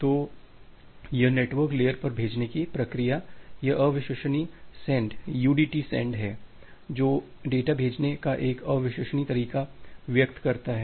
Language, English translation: Hindi, So, this sending sending process at the network layer it is unreliable send “udt send()”, that express a unreliable way of sending the data